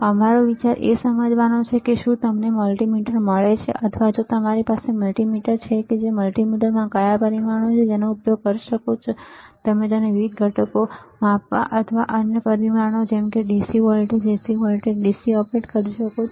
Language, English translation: Gujarati, Our idea is to understand if you get a multimeter or if you have the multimeter which what are the parameters within the multimeter that you can use it and you can operate it for measuring different components, or other parameters like DC voltage, AC voltage, DC current, AC current resistance capacitance frequency, right